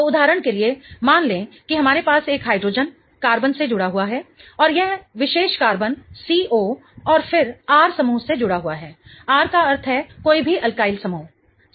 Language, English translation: Hindi, So, for example, let's say that we have a hydrogen attached to a carbon and that particular carbon is attached to the C double bond O and then an R group, R meaning any alkyl group, right